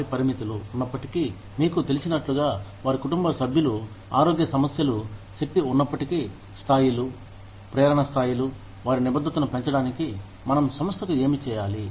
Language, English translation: Telugu, Despite their limitations, as you know, despite their family issues, health issues, energy levels, motivation levels, what should we do, in in order to, enhance their commitment, to the company